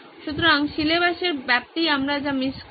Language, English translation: Bengali, So the extent of syllabus is what we will miss out on